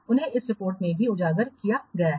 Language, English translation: Hindi, , they are also highlighted in this report